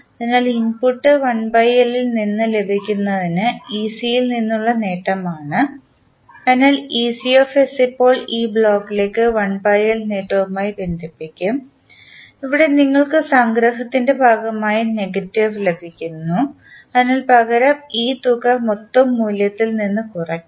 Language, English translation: Malayalam, So, in this you get input from 1 by L as a gain from ec, so ecs will be now connected to this block with 1 by L as a gain and here you get negative as a part of summation, so instead of sum it will be subtracted from the total value